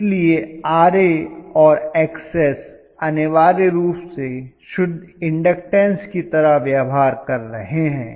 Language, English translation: Hindi, So Ra and Xs essentially behave like pure inductance